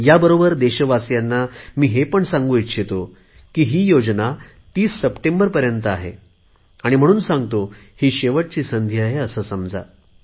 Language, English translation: Marathi, At the same time, I want to tell the people of the country that please consider this plan, which is up to 30th September as your last chance